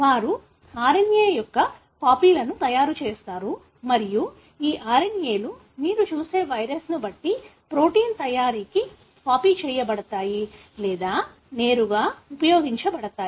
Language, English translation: Telugu, They make copies of the RNA and these RNA’s are either copied or directly used for making protein depending on the virus that you look at